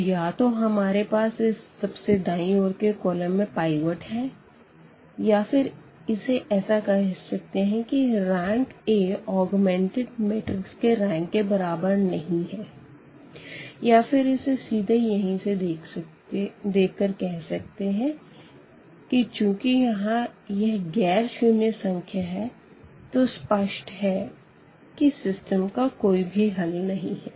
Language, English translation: Hindi, So, we have either the rightmost pivot has rightmost column has a pivot or we call rank a is not equal to the rank of the augmented matrix or we call simply by looking at this that if this is nonzero then we have a case of no solution, clear